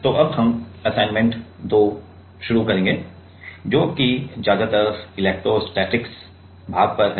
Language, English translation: Hindi, So, we will now start on Assignment 2, which is on mostly electrostatics part right